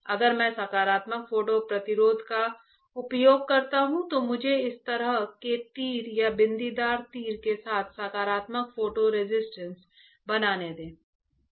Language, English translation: Hindi, If I use positive photo resist so, let me just draw positive photo resist with this kind of arrow or dotted arrow